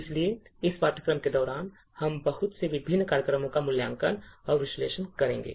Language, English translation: Hindi, So, during the course we will be evaluating and analysing a lot of different programs